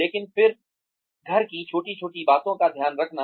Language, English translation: Hindi, But then, just taking care of little things in the house